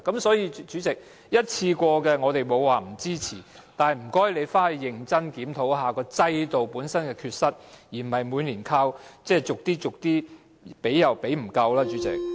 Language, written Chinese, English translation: Cantonese, 所以，主席，我們不是不支持一次過的紓困措施，但請政府認真檢討制度本身的缺失，而不是每年逐少逐少地提供，但所提供的卻又仍然不足夠。, Therefore President it is not the case that we do not support the provision of one - off relief measures but we urge the Government to seriously review the inadequacies of the system rather than providing measures bit by bit every year with the provision being still far from adequate